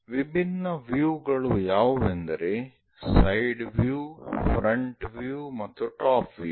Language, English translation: Kannada, Different views are side view, front view and top view